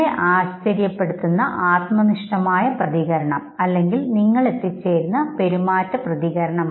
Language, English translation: Malayalam, This is the cognitive appraisal, the subjective reaction you are surprised, the behavioral reaction you stop